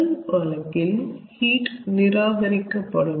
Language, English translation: Tamil, ok, in the first case heat will be rejected